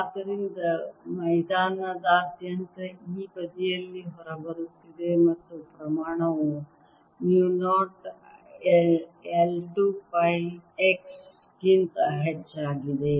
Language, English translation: Kannada, so all over the field is going in, coming out on this side, and this magnitude is mu zero i over two pi x